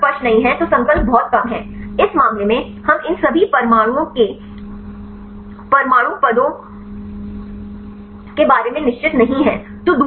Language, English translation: Hindi, If the map is not clear then the resolution is very low, in this case we are not sure about the atomic positions of these all the atoms right